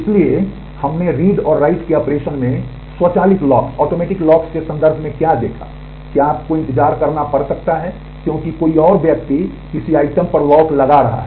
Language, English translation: Hindi, So, what did we see in terms of automatic locks in read and write operation is you may have to wait because, someone else is holding a lock on an item